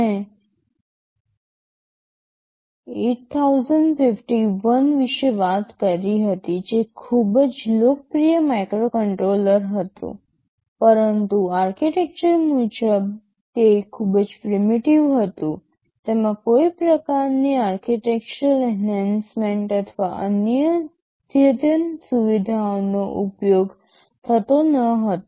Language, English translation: Gujarati, Well I talked about 8051 that was a very popular microcontroller no doubt, but architectureal wise it was pretty primitive, it did not use any kind of architectural enhancement or advanced features ok